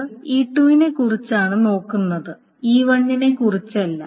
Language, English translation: Malayalam, So it is concerned only about E2 and not about E1